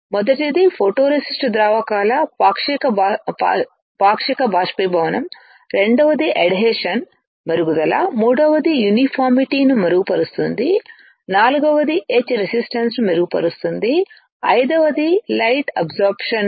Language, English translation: Telugu, First is partial evaporation of photoresist solvents, second is improvement of adhesion, third is improving uniformity, fourth is improve etch resistance, fifth is optimize light absorbance, sixth is characteristics of photoresist is retained right